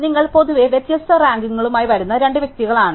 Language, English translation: Malayalam, So, you in general, two individual who come up with different rankings